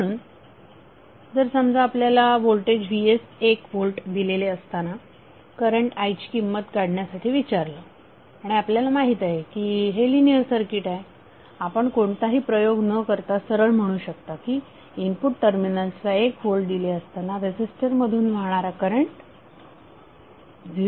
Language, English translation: Marathi, So, suppose if you are asked to find out the value of current I when voltage Vs is 1 volt and you know that this is a linear circuit without doing experiment you can straight away say that current flowing through that resistor would be 0